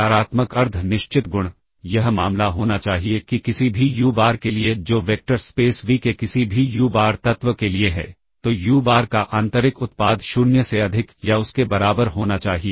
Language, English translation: Hindi, The positive semi definite property it must be the case that for any uBar, that is for any uBar element of the vector space V then the inner product of uBar with itself must be greater than or equal to 0